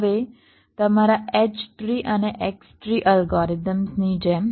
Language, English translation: Gujarati, now, just like ah, your h tree and x tree algorithms